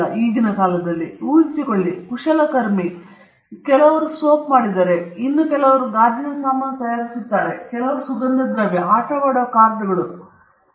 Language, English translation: Kannada, Now, imagine, if these craftsman some of them made soap, some of them made glassware, some of them on perfumes, playing cards, n number of things